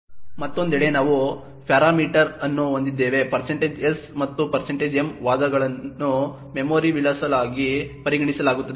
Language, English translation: Kannada, On the other hand, we have parameter is like % s and % m were the arguments are considered as memory addresses